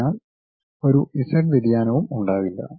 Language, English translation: Malayalam, So, there will not be any z variation